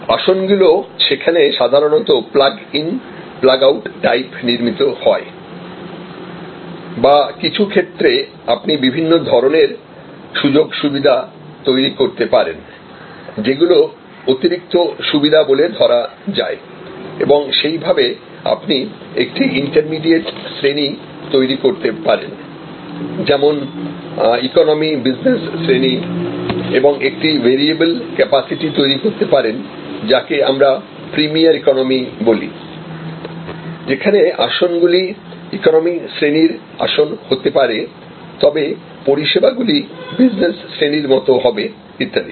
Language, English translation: Bengali, The seats are so constructed there often plug in plug out type or in some cases you can create different kinds of facilities, which are add on facilities and you can even create an inter immediate class like say economy, business and in between you can create a variable capacity for, what we call a premier economy, where seats may be an economy seat, but the services will be equivalent to business class and so on